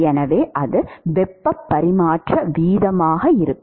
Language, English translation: Tamil, So, that will be the heat transfer rate